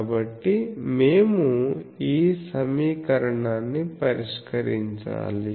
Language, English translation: Telugu, So, we will have to solve this equation